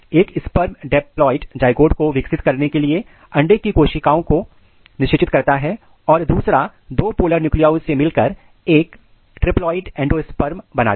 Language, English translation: Hindi, One sperm fertilizes the egg cell to develop a diploid zygote and other combines with two polar nuclei to produce a triploid endosperm